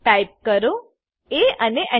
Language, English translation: Gujarati, Type a and press Enter